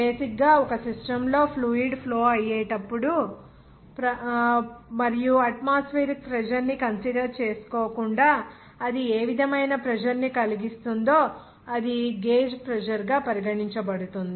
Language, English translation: Telugu, Basically, whenever fluid will be flowing in a system and the pressure whatever it will be exerted without consideration of atmospheric pressure, it will be regarded as gauge pressure